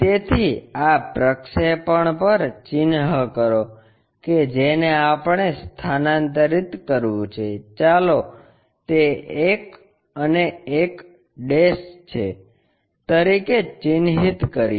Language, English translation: Gujarati, So, on this projection mark that one which we have to transfer, let us mark that one as 1 and 1'